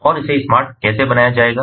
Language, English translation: Hindi, that also has to be made smart